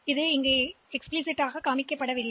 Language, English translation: Tamil, So, that is not shown here explicitly